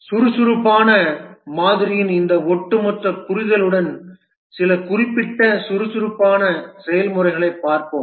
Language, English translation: Tamil, With this overall understanding of the Agile model, let's look at some specific agile processes